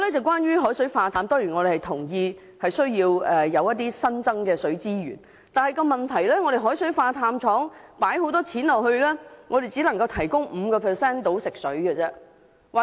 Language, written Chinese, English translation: Cantonese, 關於海水化淡，我們當然同意要有新增的水資源，但問題是投資巨額金錢興建海水化淡廠後，它卻只能提供香港約 5% 的所需食水。, As for desalination we of course agree that there is a need to develop new water resources but the problem is that after we have invested a huge amount of financial resources in the construction of a desalination plant it can only supply about 5 % of water we need in Hong Kong